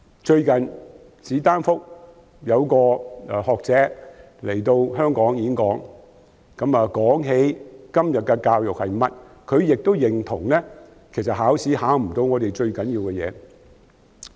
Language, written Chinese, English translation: Cantonese, 最近，史丹福大學一位學者來香港演講，說到今天的教育情況，他亦認同考試未能考核最重要的事。, Recently a scholar from Stanford University came to Hong Kong to give a speech on education nowadays . He agreed that the most important things cannot be tested in examinations